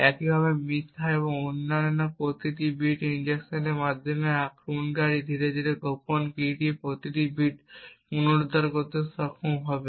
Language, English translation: Bengali, Similarly, by injecting false and every other bit the attacker get slowly be able to recover every bit of the secret key